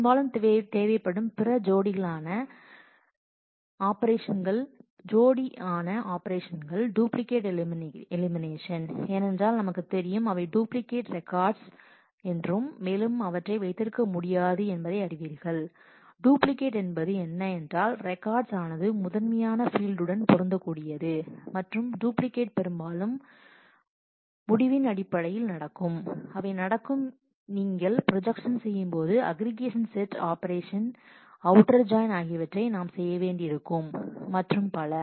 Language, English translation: Tamil, Couple of other operations which are often required is duplicate elimination because if they we know that there are duplicate records cannot be kept, duplicate in the sense the records which match in the in the key field and the duplicate will often happen in terms of the result, they will happen in terms of when we do projection, we will need to do aggregation set operations outer join and so, on